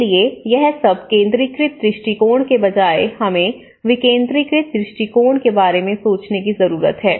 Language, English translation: Hindi, So, all this instead of centralized approach, we need to think of the decentralized approaches